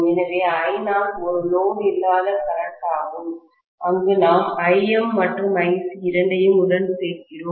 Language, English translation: Tamil, So, I naught is the no load current, where we are adding to I M and Ic, both of them